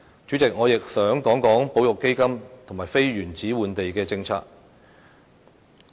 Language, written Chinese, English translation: Cantonese, 主席，我亦想討論保育基金及非原址換地的政策。, President I also wish to discuss the conservation fund and the policy on non - in - situ land exchange